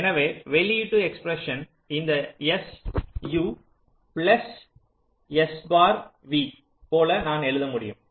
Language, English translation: Tamil, so i can write the output expression like this: s u plus s bar v